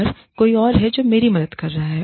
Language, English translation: Hindi, And, there is somebody else, who is helping me, do that